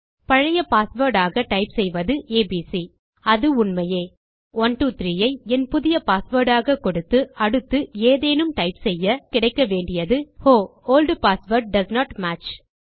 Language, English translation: Tamil, If I type abc as my old password, which it is, and 123 as my new password and random letters in the next, we should get.....Oh Old password doesnt match